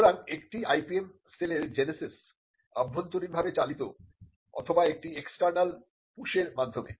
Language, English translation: Bengali, So, the genesis of an IPM cell could be either internally driven or it could be through and external push